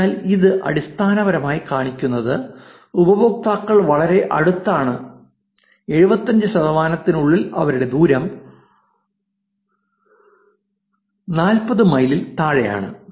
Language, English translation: Malayalam, So, this basically shows that the users are also co located very closely, within 75 percent have their distance less than 40 miles